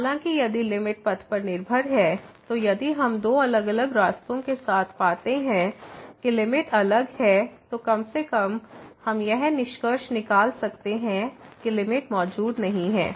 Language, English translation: Hindi, However, if the limit is dependent on the path, so if we find along two different paths that the limit is different; then, at least we can conclude that limit does not exist